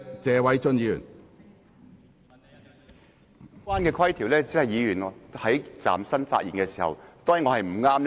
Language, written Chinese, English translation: Cantonese, 主席，有關規條只適用於議員站立發言的時候。, President the relevant rule only applies to Members when they are standing making a speech